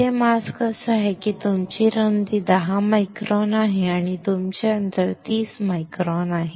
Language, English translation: Marathi, Here the mask is such that your width is 10 micron and your spacing is 30 microns